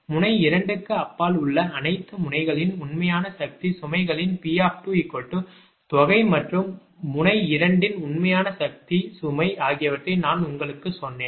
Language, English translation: Tamil, just i told you the p two is equal to some of the real power loads of all the nodes beyond node two, plus the real power load of node two itself